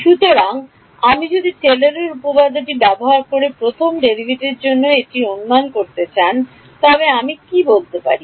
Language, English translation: Bengali, So, if I wanted an approximation for the first derivative using Taylor’s theorem, what can I say